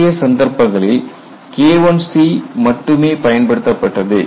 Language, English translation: Tamil, In the earlier cases we had use only K1 c